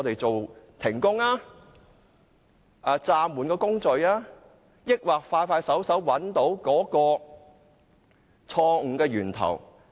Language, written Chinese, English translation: Cantonese, 是停工、暫緩工序，或是盡快找出錯誤的源頭？, Should the works be stopped or suspended; or should the root cause of the faulty works be identified expeditiously?